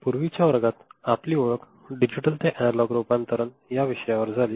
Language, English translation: Marathi, In the last class, we got introduced to Digital to Analog Conversion